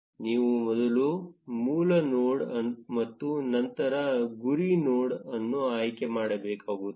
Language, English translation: Kannada, You need to first select the source node and then the target node